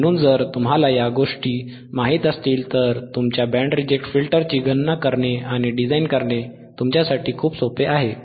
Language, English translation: Marathi, So, this if you know thisese things, iit is very easy for you to calculate how you canand design your band reject filter